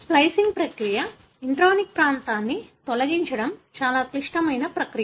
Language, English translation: Telugu, This process of splicing, removing the intronic region is a very complex process